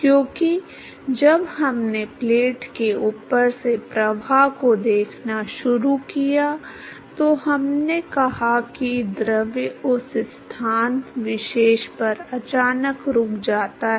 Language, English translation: Hindi, Because when we started looking at flow past a plate we said that the fluid suddenly comes to rest at that particular location